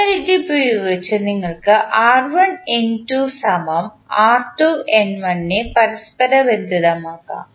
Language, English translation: Malayalam, So, using this you can correlate that r1N2 is equal to r2N1